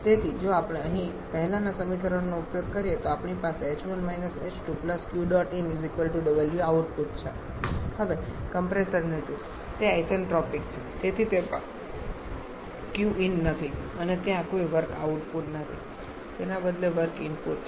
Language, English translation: Gujarati, Now look at the compressor Q there it is isentropic so there is no Q in and there is no work output rather is work input